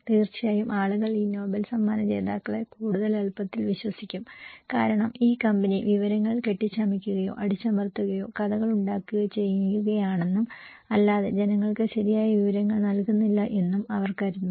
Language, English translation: Malayalam, People, of course, would easily trust more these Nobel laureates because they can think that this company may be fabricating or suppressing the informations, making stories and not and they are not giving the right information to the people